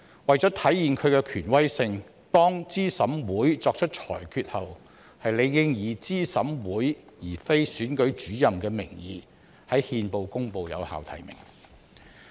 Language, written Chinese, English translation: Cantonese, 為體現其權威性，當資審會作出裁決後，理應以資審會而非選舉主任的名義在憲報公布有效提名。, To demonstrate its authority after CERC has made its decision valid nominations should be published in the Gazette in the name of CERC rather than the Returning Officer